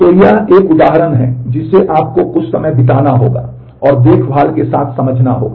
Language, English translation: Hindi, So, this is an example which you will have to spend some time and understand with care